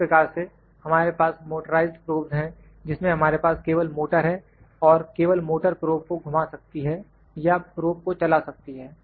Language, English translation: Hindi, Similarly, we have motorized probes motorized probes in which just we have the motors and motors can just rotate the probe or move the probe